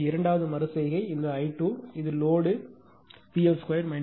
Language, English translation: Tamil, So, second iteration this small i 2 will be 0